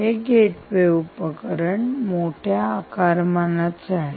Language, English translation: Marathi, so this gateway essentially is bigger in size